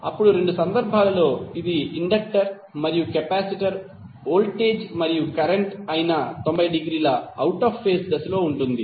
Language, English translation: Telugu, Then both of the cases, whether it is inductor and capacitor voltage and current would be 90 degree out of phase